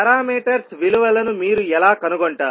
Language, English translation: Telugu, How you will find the values of parameters